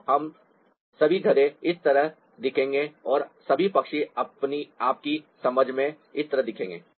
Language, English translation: Hindi, so all donkeys will look like this and all birds will look like this to your understanding